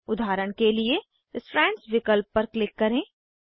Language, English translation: Hindi, For example click on Strands option